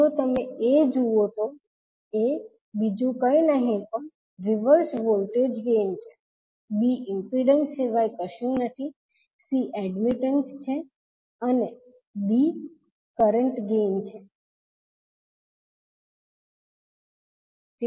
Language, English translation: Gujarati, If you see A, A is nothing but a reverse voltage gain, B is nothing but the impedance, C is the admittance and D is current gain